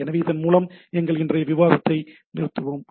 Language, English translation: Tamil, So, with this let us stop let us stop our today’s discussion